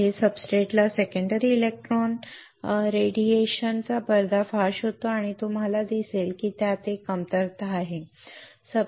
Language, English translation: Marathi, Next is exposes substrate to secondary electron radiation you see that there is a drawback